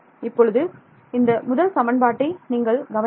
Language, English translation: Tamil, No I have just rewritten this first equation